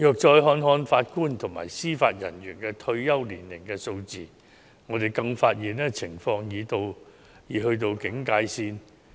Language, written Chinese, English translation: Cantonese, 再看看法官及司法人員的退休年齡數字，我們更發現情況已到警戒線。, Considering the retirement age figures of JJOs we found that the situation has reached an alert level